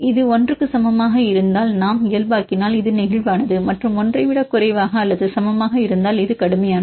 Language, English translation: Tamil, Then we normalize if it is equal to more than equal to 1 this is flexible and less than or equal to 1 this is rigid